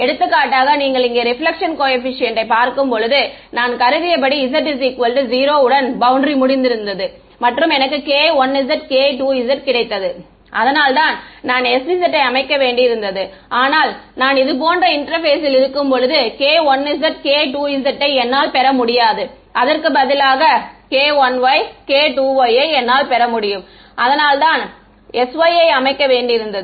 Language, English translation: Tamil, For example, when you look at the reflection coefficient over here when I assume that the boundary was over along the z z equal to 0 I got k 1 z k 2 z that is why I needed to set s z, but when I come to an interface like this I will not get k 1 z and k 2 z I will get k 1 y and k 2 y that is why I need to set s y and then it is able to absorb any wave coming at it